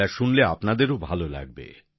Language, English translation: Bengali, Listen to it, you will enjoy it too